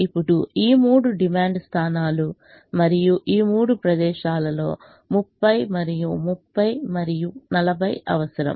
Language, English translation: Telugu, now these three are the demand points and the requirement is thirty, another thirty and forty in these three places